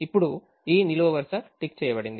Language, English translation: Telugu, now this column has been ticked